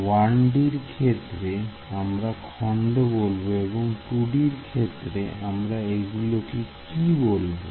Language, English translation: Bengali, In 1 D we can call them segments in 2 D what do we call it